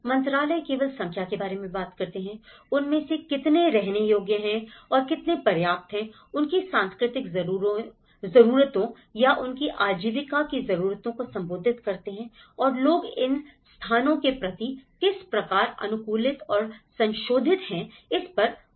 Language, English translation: Hindi, The ministries only talk about the numbers, how many of them are occupied and how many are there adequately you know, addressed the cultural needs or their livelihood needs and how a person have adapted and modified it these places